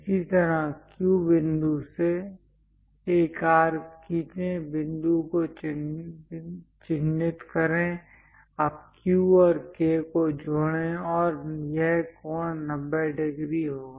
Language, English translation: Hindi, Similarly, from Q, similarly, from Q point, draw an arc, mark the point; now, join Q and K, and this angle will be 90 degrees